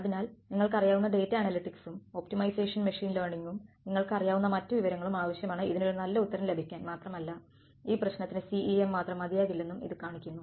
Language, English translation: Malayalam, So, all you know fancy data analytics and optimization machine learning whatever you can throw at it needs to be done to get a good solution with this and it also shows you that just CEM alone is not enough for this problem